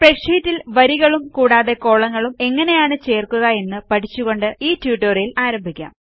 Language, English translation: Malayalam, So let us start our tutorial by learning how to insert rows and columns in a spreadsheet